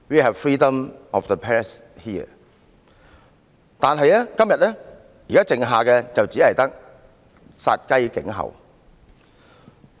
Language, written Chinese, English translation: Cantonese, 可是，現時我們所剩下的就只有殺雞儆猴。, However now we kill the chicken to warn the monkey